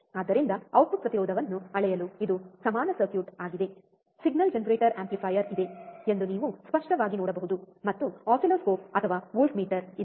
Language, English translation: Kannada, So, this is an equivalent circuit for measuring the output impedance, you can clearly see there is a signal generator is the amplifier, and there is a oscilloscope or voltmeter